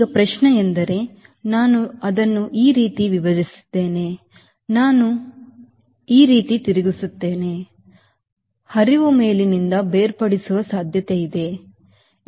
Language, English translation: Kannada, now the question is the moment i split it like this, i deflect it like this, there is the possibility of flow getting separated from the top